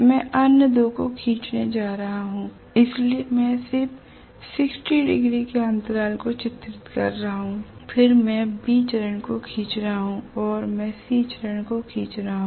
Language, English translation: Hindi, I am going to draw the other two, so I am just drawing the 60 degree intervals then I am drawing B phase and I am drawing C phase